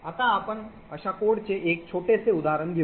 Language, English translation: Marathi, Now we will take a small example of such a code